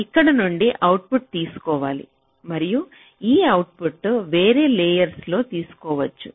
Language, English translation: Telugu, so from here you have to take an output, and this output can be taken on different layers